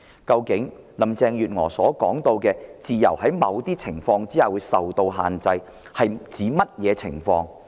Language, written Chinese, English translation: Cantonese, 究竟林鄭月娥所說的"自由在某些情況下會被限制"是指甚麼情況？, What circumstances did Carrie LAM refer to in her remark freedom would have certain restrictions in some circumstances?